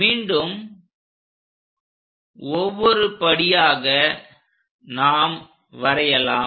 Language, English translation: Tamil, Let us draw again that line